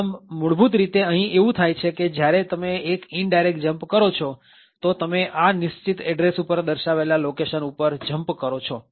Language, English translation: Gujarati, So, essentially what is going to happen here is when you make an indirect jump, so you jump to a location specified at this particular address